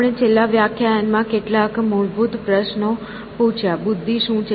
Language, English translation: Gujarati, We asked some fundamental questions in the last class what is intelligence